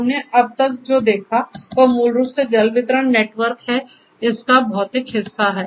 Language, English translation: Hindi, So, what we have seen so far is basically the water distribution network, the physical part of it